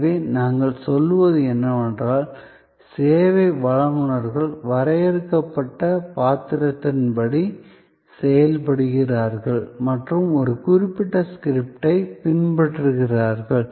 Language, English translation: Tamil, So, this is, what we say, that the service providers act according to a define role and follow a certain script